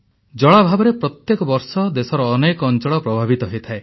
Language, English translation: Odia, Water scarcity affects many parts of the country every year